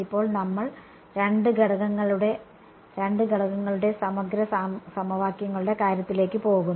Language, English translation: Malayalam, Now, we go to the case of the integral equations for two elements right